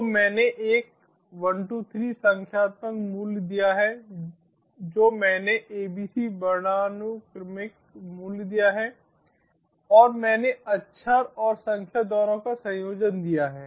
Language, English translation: Hindi, so i have given one, one, two, three numeric value, i have given abc alphabetical value and i have given a combination of both alphabets and numbers